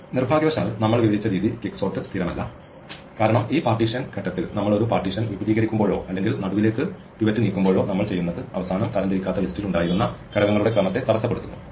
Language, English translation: Malayalam, Unfortunately, quicksort the way we have described it is not stable because whenever we extend a partition in this partition stage or move the pivot to the center what we end up doing is disturbing the order of elements which were already there in the unsorted list